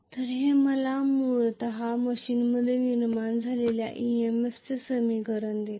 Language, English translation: Marathi, so, this is the EMF equation of the machine